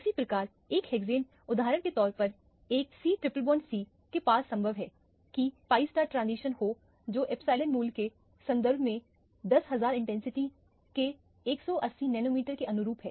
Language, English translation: Hindi, Similarly one hexane as an example as a c, triple bond c which also is possible to have the pi pi star transition corresponding to 180 nanometers of 10000 intensity in terms of the epsilon value